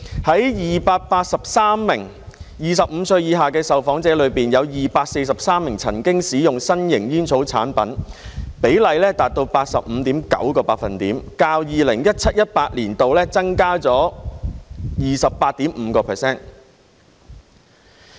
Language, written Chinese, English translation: Cantonese, 在283名25歲以下的受訪者中，有243名曾經使用新型煙草產品，比例達到 85.9%， 較 2017-2018 年度增加了 28.5%。, Of the 283 respondents aged under 25 243 had consumed novel tobacco products . The proportion reached 85.9 % representing an increase of 28.5 % over 2017 - 2018